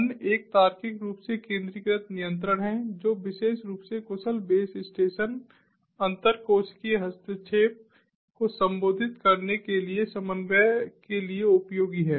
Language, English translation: Hindi, the other one is the logically centralized control, which is particularly useful for efficient base station coordination for addressing intercellular interference